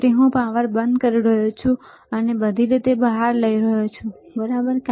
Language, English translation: Gujarati, So, I am switching off the power, I am taking it out all the way, right